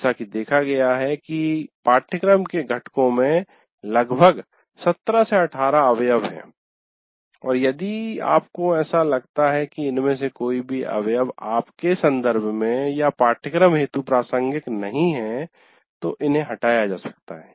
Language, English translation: Hindi, Now as you can see, there are about 17, 18 items in this and if you consider any of these items are not relevant in your context or for your course, delete that